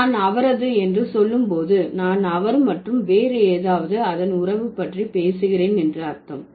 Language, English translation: Tamil, When I say his, that means I'm talking about he and its relationship with something else